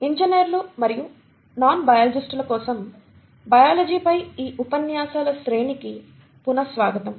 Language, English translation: Telugu, So welcome back to these series of lectures on biology for engineers and non biologists